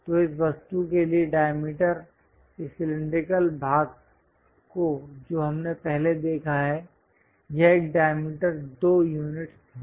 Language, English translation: Hindi, So, the diameter for this object this cylindrical part what we have looked at earlier, this one this diameter is 2 units